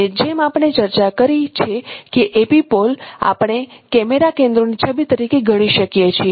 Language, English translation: Gujarati, And as we have discussed that epipole can be considered as image of the camera centers